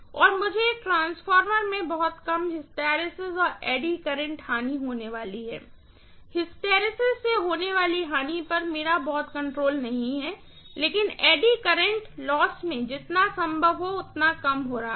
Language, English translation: Hindi, And I am going to have very low hysteresis and eddy current loss in a transformer, hysteresis loss I don’t have much control but eddy current loss I am decreasing as much as possible